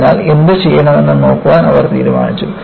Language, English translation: Malayalam, So, they decide to look at, what to do